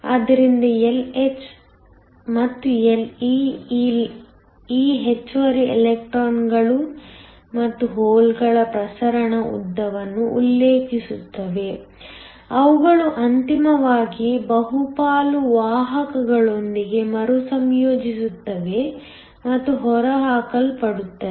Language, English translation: Kannada, So, Lh and Le refer to the diffusion length of these extra electrons and holes before they ultimately recombine with the majority carriers and get eliminated